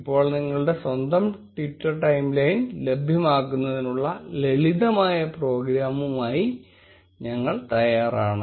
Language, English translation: Malayalam, Now, we are ready with the simple program to fetch your own Twitter timeline